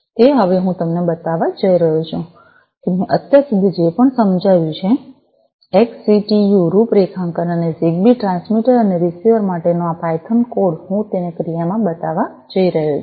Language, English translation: Gujarati, So, now, I am going to show you whatever I have explained so far, the XCTU configuration and also this python code for the ZigBee transmitter and the receiver, I am going to show it in action